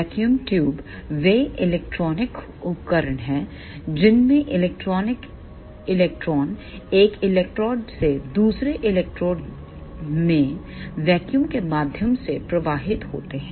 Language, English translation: Hindi, Vacuum tubes are the electronic devices in which electrons flow through vacuum from one electrode to another electrode